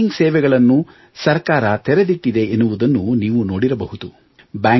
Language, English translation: Kannada, You might have noticed that the government has kept the banking services open